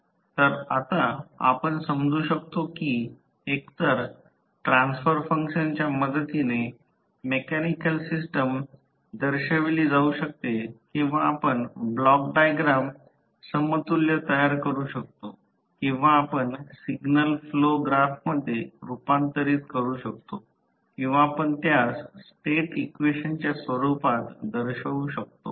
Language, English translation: Marathi, So, you can now understand that the mechanical system can also be represented with the help of either the transfer function method or you can create the equivalent the block diagram or you can convert into signal flow graph or you can represent it in the form of State equation